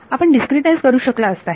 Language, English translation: Marathi, You could discretize it